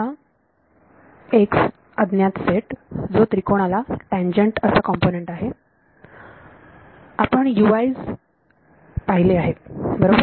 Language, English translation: Marathi, So, this is my ok now x is my set of unknowns which is the tangential component along the triangle we have seen that the U i’s right